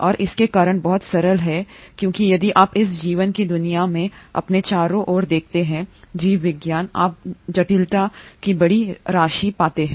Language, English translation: Hindi, And the reason is very simple because if you look around yourself in this world of life biology, you find huge amount of complexity